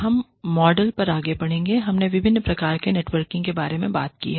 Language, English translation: Hindi, Now, we will move on to the models, we have talked about, different types of networking